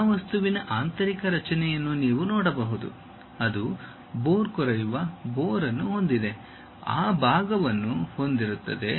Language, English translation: Kannada, You can see the internal structure of this object, it is having a bore, drilled bore, having that portion